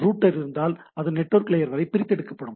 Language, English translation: Tamil, If there is a router it gets extracted up to the network layer